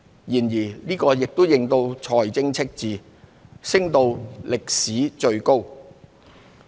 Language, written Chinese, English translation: Cantonese, 然而，這亦令財政赤字升至歷來最高。, However this has also brought the fiscal deficit to a record high